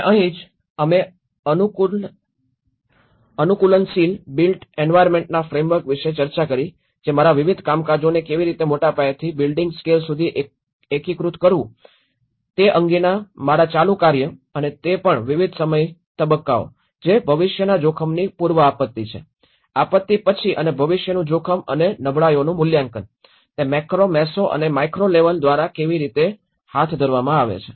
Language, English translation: Gujarati, And this is where, we discussed about the frameworks of adaptive built environment which my ongoing work about how to integrate different scales from a larger scale to a building scale and also different time phases, which is the pre disaster to the future risk, the post disaster and the future risk and how the vulnerability assessment, how it can be carried by macro, meso and the micro levels